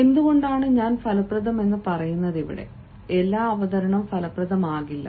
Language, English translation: Malayalam, why i say effective is not every presentation can be effective